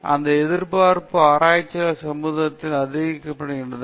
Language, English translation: Tamil, So, with that expectation researchers are supported by the society